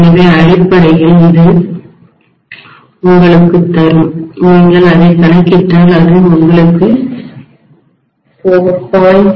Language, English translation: Tamil, So this will give you essentially, if you calculate it, it will give you 4